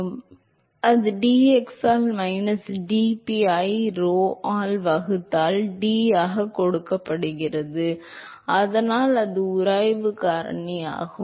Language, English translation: Tamil, So, that is given as minus dp by dx into D divided by rho, so that is the friction factor